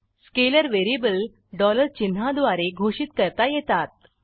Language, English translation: Marathi, Scalar variables are declared using $ symbol